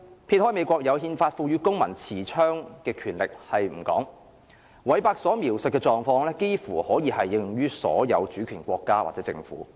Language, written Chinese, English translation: Cantonese, 撇開美國憲法賦予公民持槍權力不談，韋伯所描述的狀況，幾乎可以應用於所有主權國家或政府。, Apart from the United States where the Constitution empowers its citizens to carry guns Max WEBERs description is applicable to almost all sovereign states or governments